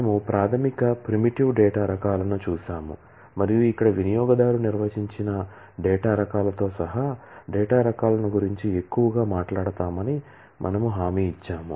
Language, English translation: Telugu, We have seen the basic primitive data types, and we had promised that we will talk more about the data types including user defined data types here